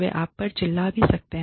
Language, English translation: Hindi, They may end up, shouting at you